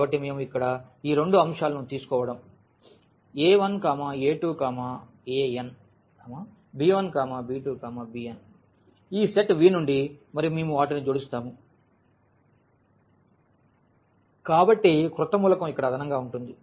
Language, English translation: Telugu, So, when we take these two elements here a 1, a 2, a n and b 1, b 2, b n from this set V and when we add them, so, the new element will be just the component wise addition here